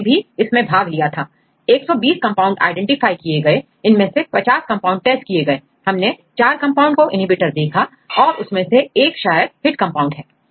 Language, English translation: Hindi, We also contributed in that right, we it is identified about 120 compounds, and they tested 50 compounds among 120 that and we showed that 4 compounds showed inhibition and one is the probable hit compound